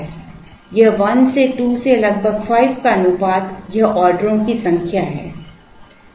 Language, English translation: Hindi, This is like 1 is to 2 is to 5 that is the number of orders